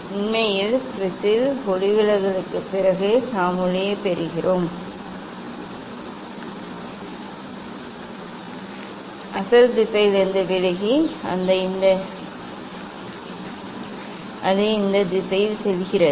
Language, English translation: Tamil, actually after refraction in the prism we are getting light is deviated from the original direction and it is going in this direction